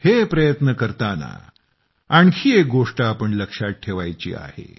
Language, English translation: Marathi, And in the midst of all these efforts, we have one more thing to remember